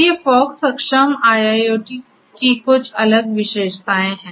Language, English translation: Hindi, So, these are some of these different features of fog enabled IIoT